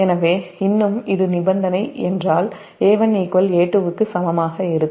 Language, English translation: Tamil, so still, a one is equal to a two if this is the condition